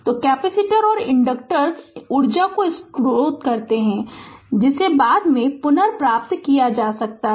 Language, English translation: Hindi, So, capacitors and inductors store energy which can be retrieved at a later time